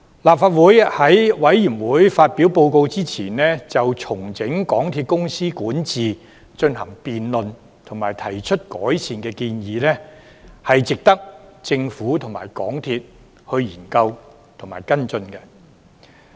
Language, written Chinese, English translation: Cantonese, 立法會在調查委員會發表報告之前，就重整港鐵公司管治進行辯論及提出改善建議，是值得政府及港鐵公司研究及跟進的。, Before the Commission of Inquiry publishes its report the improvement proposals put forward by the Legislative Council in its debate on restructuring the governance of MTRCL are worth studying and following up by the Government and MTRCL